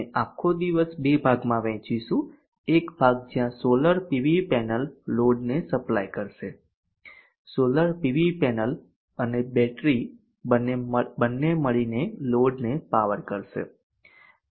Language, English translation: Gujarati, We shall split the entire day into two parts one part where the solar PV panel will supplement the load solar PV panel and battery both together will be powering the load